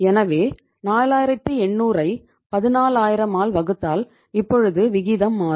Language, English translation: Tamil, So 4800 divided by the 14000 now the ratio will change